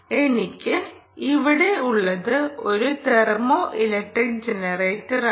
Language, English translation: Malayalam, let's move on to understanding thermoelectric generators